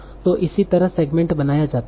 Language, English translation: Hindi, So that's how the segmental is built